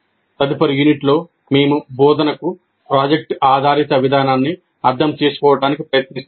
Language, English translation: Telugu, And in the next unit, we'll try to understand project based approach to instruction